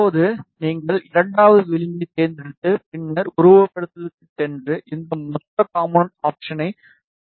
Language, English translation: Tamil, Similarly, you select second edge, and then go to simulation and select this lumped component option